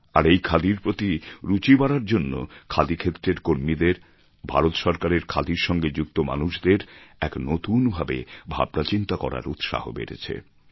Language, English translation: Bengali, The increasing interest in Khadi has infused a new thinking in those working in the Khadi sector as well as those connected, in any way, with Khadi